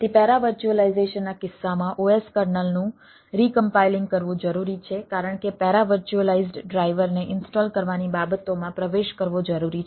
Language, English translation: Gujarati, so in case of para virtualization, recompiling of the os kernel is required because there is penetrating into the things